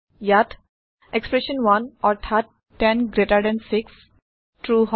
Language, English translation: Assamese, Here expression 1 that is 106 is true